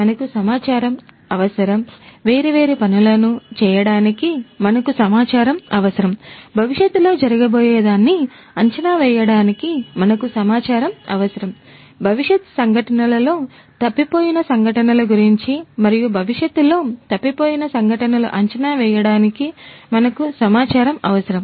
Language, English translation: Telugu, We need data, we need data; we need data for doing different things, we need data for predicting something that might happen in the future, miss happenings in the future events and miss events that are going to occur in the future